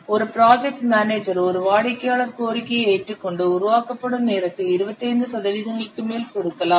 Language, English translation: Tamil, If a project manager accepts a customer demand to compress the development time by more than 25%